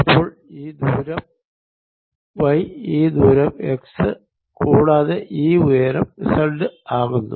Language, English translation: Malayalam, so this distance will be y, this distance will be x and this height will be z